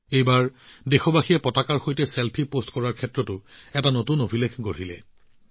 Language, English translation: Assamese, This time the countrymen have created a new record in posting Selfie with the tricolor